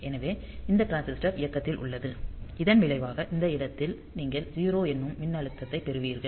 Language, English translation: Tamil, So, this transistor is on as a result at this point you will get the voltage of 0